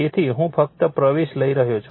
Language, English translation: Gujarati, So, I am taking just entering